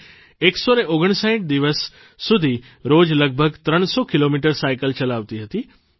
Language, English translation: Gujarati, She rode for 159 days, covering around 300 kilometres every day